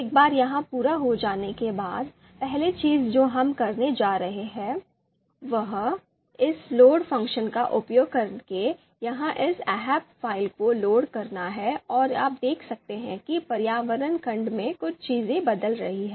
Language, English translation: Hindi, Once this is done, you know the first thing that we are going to do is load this ahp file here using this load function and you can see in the environment section few things are changing